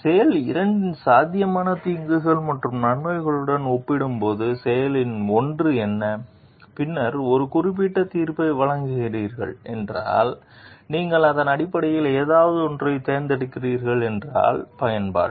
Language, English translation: Tamil, And what are the of action one compared to the potential harms and benefits of the action 2 and then making a comparative judgment then if you are choosing something based on that that is utilitarianism